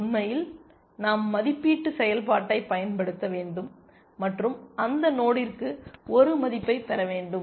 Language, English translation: Tamil, In fact we have to apply the evaluation function and get a value for that node